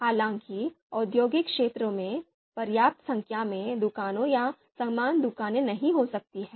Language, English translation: Hindi, However, in industrial area, there might not be you know you know enough number of shops or similar shops